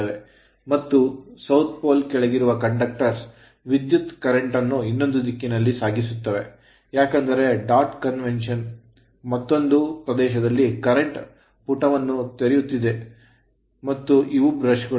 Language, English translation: Kannada, And in the south conductors under south pole carrying current in the other direction because where going into the page another region what you call leaving the page and this is the brushes right